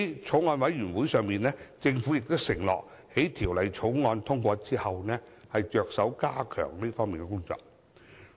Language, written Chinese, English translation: Cantonese, 在法案委員會會議上，政府承諾在《條例草案》通過後，着手加強這方面的工作。, In the meetings of the Bills Committee the Government undertook to step up its efforts to this end after the Bill is passed